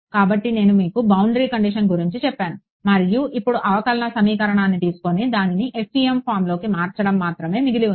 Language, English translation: Telugu, So, I have told you about the boundary condition and now what remains is to take a differential equation and convert it into the FEM form right